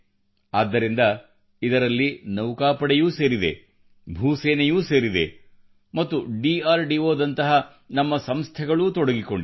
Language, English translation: Kannada, That is why, in this task Navy , Air Force, Army and our institutions like DRDO are also involved